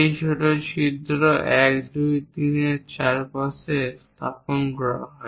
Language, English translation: Bengali, Thisthese smaller holes 1, 2, 3 are placed around that